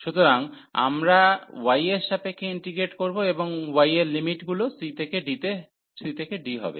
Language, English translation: Bengali, So, we will integrate with respect to y then and y the limits will be c to d